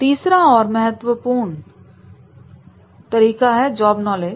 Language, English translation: Hindi, The third and foremost is that is a job knowledge